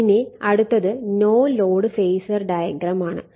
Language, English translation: Malayalam, Now next is no load phasor diagram